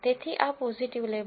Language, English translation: Gujarati, So, this is the positive label